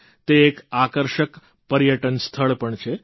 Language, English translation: Gujarati, It is an attractive tourist destination too